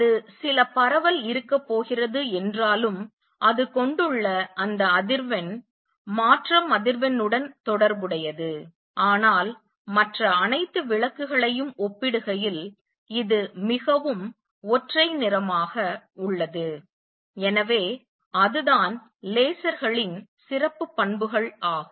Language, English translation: Tamil, It has one frequency that corresponds to that transition frequency although there is going to be some spread, but is highly monochromatic compared to all other lights, so that is the special properties of lasers